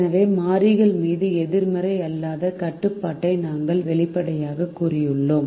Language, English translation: Tamil, therefore we have explicitly stated a non negativity restriction on the variables